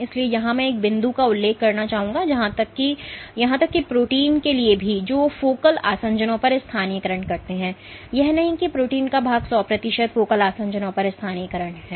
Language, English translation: Hindi, So, here I would like to mention one point is even for proteins which do localize at focal adhesions, it is not that hundred percent of the protein content is localizing at focal adhesions